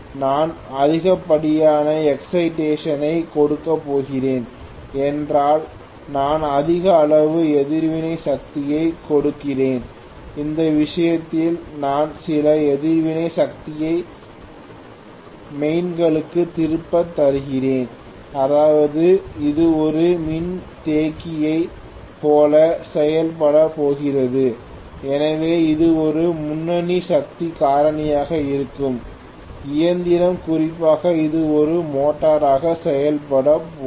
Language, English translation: Tamil, If I am going to give excess excitation which means I am giving excessive amount of reactive power, in that case we will return some reactive power to the mains, which means it is going to act like a capacitor so it will be a leading power factor machine, especially when it is functioning as a motor